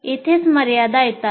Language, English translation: Marathi, And this is where the limitations come